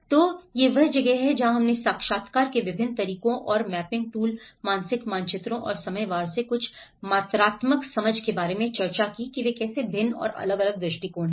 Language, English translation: Hindi, So this is where, we discussed about different methods of interviews and some of the quantitative understanding from the mapping tools, mental maps, and by time wise, how they varied and different approaches